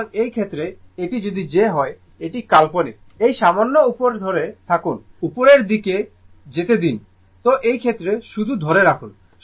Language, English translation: Bengali, So, in that case if this is j this is your we call it is imaginary this is j, when you come to this just just ah just hold on little bit let me move upward , right